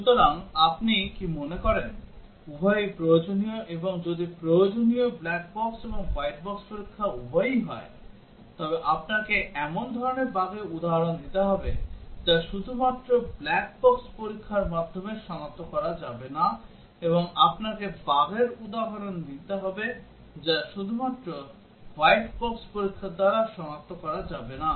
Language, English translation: Bengali, So what do you think is both necessary and if both necessary black box and white box testing then you have to give examples of the type of bugs which cannot be detected by black box testing alone, and also you have to be the example of bugs which cannot be detected by white box testing alone